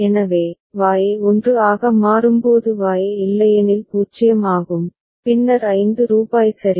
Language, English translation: Tamil, So, Y is otherwise 0 when Y becomes 1 ok, then rupees 5 is returned ok